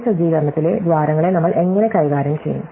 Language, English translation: Malayalam, So, how do we deal with holes in this setup